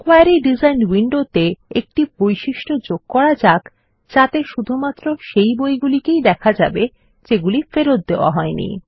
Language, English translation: Bengali, In the Query Design window, let us add a criterion to show only those books that are not checked in